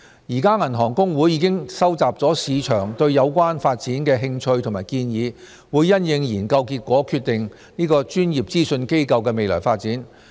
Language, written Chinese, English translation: Cantonese, 現時銀行公會已收集市場對有關發展的興趣和建議，會因應研究結果決定"專業資訊機構"的未來發展。, At present HKAB has collected information of interested parties and suggestions on KYCU and will decide on its future development after the results of the study are available